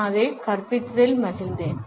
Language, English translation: Tamil, I have enjoyed teaching it